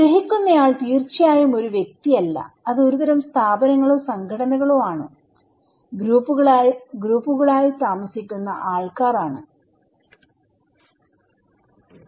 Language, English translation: Malayalam, The perceiver is not an individual of course, they are a kind of institutions or kind of organizations they are living with other group of people